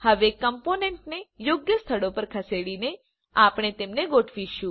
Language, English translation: Gujarati, Now we will arrange the components, by moving them to appropriate places